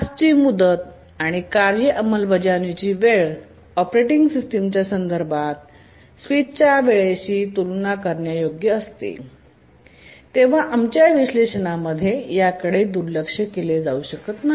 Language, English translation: Marathi, So, when we are task deadlines and the task execution time so close, so comparable to the task, to the context switch times of the operating system, we cannot really ignore them in our analysis